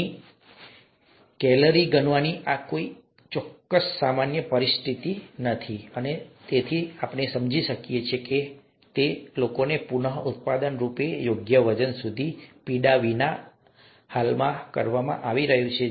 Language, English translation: Gujarati, It's not a simple calorie counting kind of a situation here, and therefore can we understand that a lot better and so, so as to reproducibly get people to their appropriate weight without a lot of pain, as it is currently being done